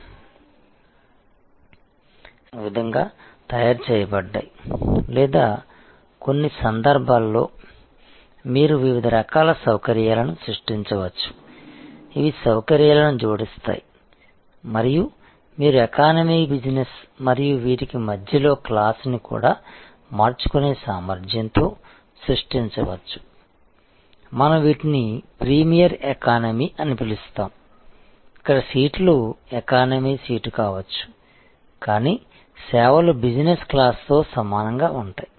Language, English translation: Telugu, The seats are so constructed there often plug in plug out type or in some cases you can create different kinds of facilities, which are add on facilities and you can even create an inter immediate class like say economy, business and in between you can create a variable capacity for, what we call a premier economy, where seats may be an economy seat, but the services will be equivalent to business class and so on